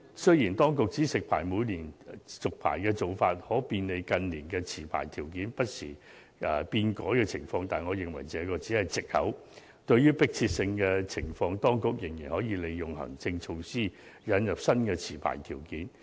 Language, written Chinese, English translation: Cantonese, 雖然，當局指食牌每年續牌的做法可便利近年持牌條件不時變改的情況，但我認為這只是藉口，對迫切性的情況，當局仍可利用行政措施，引入新的持牌條件。, In this respect the authorities have explained that annual licence renewal is required because in recent years the licensing conditions vary from time to time . But I think this is merely an excuse as the authorities can introduce new licensing conditions by way of administrative measures in case of urgency